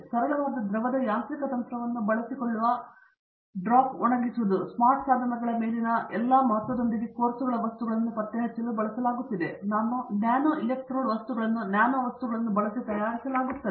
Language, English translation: Kannada, Drop drying, which is a simple fluid mechanical technique is being used to diagnose materials of course with all the emphasis on smart devices, novel electrode materials are being prepared using nano materials